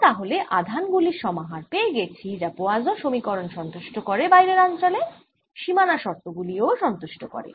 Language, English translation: Bengali, so we have found a combination of charges that satisfies the equation poisson equation in the outer region also satisfies all the boundary conditions